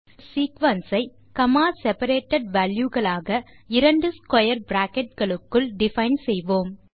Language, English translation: Tamil, We define a sequence by comma separated values inside two square brackets